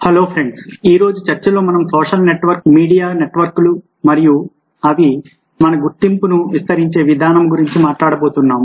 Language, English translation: Telugu, hello friends, in todays talk we are going to talk about social networks, media networks and the way extended our identities